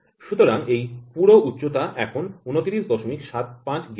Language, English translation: Bengali, So, this entire height is now 29